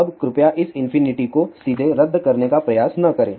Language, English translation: Hindi, Now, please do not try to cancel this infinity infinity directly